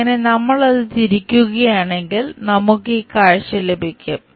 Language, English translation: Malayalam, So, if we are rotating that, we get this view